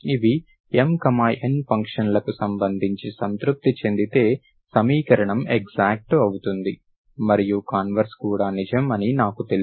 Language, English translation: Telugu, If this is satisfied, that is related satisfied for the functions M, N, I know that the equation is also exact, converse is also true, right